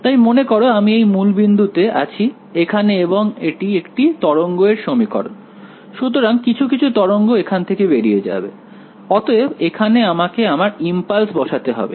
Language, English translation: Bengali, So, remember I am at the origin over here and it is a wave equation, so some wave it is going to go out from here that is where I have put my impulse